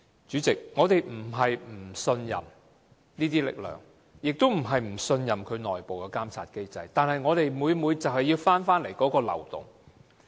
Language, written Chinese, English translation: Cantonese, 主席，我們並非不信任這些力量，也並非不信任其內部監察機制，但我們很擔心這個漏洞的存在。, President it is not that we do not trust these forces or its internal monitoring mechanism but only that we are very concerned about the existence of this loophole